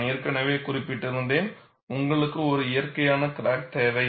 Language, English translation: Tamil, And I had already mentioned, you need a natural crack